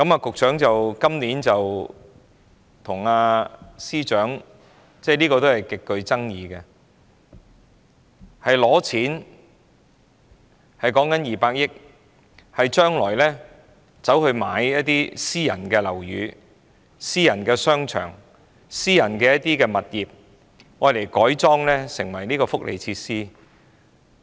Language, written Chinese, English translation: Cantonese, 局長和司長今年提出一項極具爭議的措施，建議撥款200億元用作購置私人樓宇、商場及物業，將之改裝成為福利設施。, The Secretary and the Financial Secretary propose to adopt a highly controversial measure this year to allocate a funding of 20 billion for the purchase of private buildings shopping centres and properties for conversion into welfare facilities